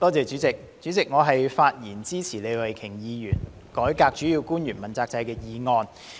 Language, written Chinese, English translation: Cantonese, 主席，我發言支持李慧琼議員提出的"改革主要官員問責制"議案。, President I rise to speak in support of Ms Starry LEEs motion on Reforming the accountability system for principal officials